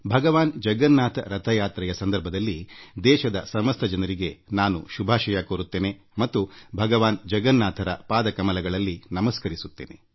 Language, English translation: Kannada, On the occasion of Lord Jagannath's Car Festival, I extend my heartiest greetings to all my fellow countrymen, and offer my obeisance to Lord Jagannath